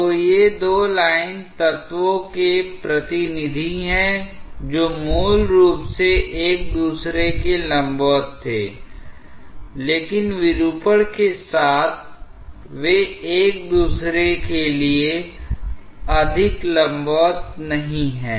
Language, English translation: Hindi, So, these are representatives of two line elements which were originally perpendicular to each other, but with deformation, they are no more perpendicular to each other